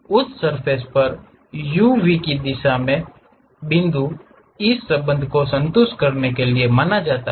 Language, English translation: Hindi, On that surface the point in the direction of u v, supposed to satisfy this relation